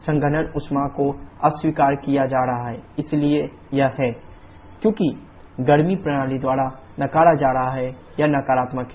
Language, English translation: Hindi, So W230 what about q 23, condensation heat is being rejected so it is equal to qC, qC because it is being rejected by the system is negative